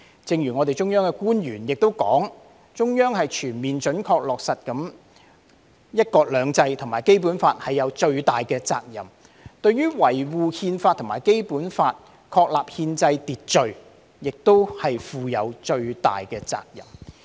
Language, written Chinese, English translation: Cantonese, 正如中央官員說，中央對全面準確落實"一國兩制"和《基本法》負有最大的責任，對於維護《憲法》和《基本法》確立的憲制秩序亦負有最大的責任。, As an official of the Central Authorities has said the Central Government holds the primary responsibility for ensuring full and faithful implementation of one country two systems and the Basic Law and for upholding the Constitution and the constitutional order established by the Basic Law